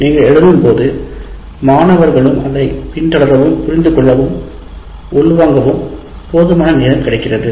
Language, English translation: Tamil, While you are writing on the board, the student has enough time to follow, understand, and internalize